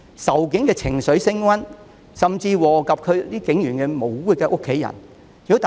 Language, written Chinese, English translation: Cantonese, 仇警的情緒升溫，甚至禍及警員無辜的家人。, Hostility towards the Police keeps growing where innocent family members of police officers are also affected